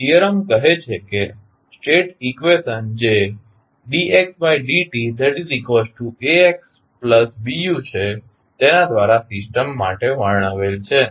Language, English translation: Gujarati, Theorem says that for the system described by the state equation that is dx by dt is equal to Ax plus Bu